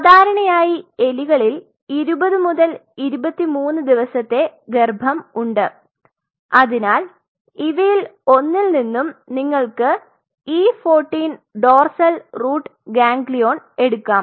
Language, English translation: Malayalam, So, generally rats have this 20 to 23 day of pregnancy, so you can get one from E 14 dorsal root ganglion